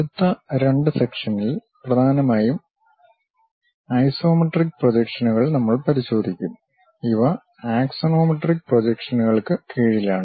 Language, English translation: Malayalam, And specifically in the next two two sections, we will look at isometric projections mainly; these come under axonometric projections